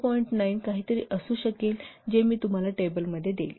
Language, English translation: Marathi, 9 something that I will give you in the table